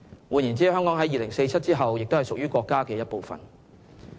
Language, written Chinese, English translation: Cantonese, 換言之，香港在2047年之後也屬於國家的一部分。, In other words Hong Kong will still be a part of the country after 2047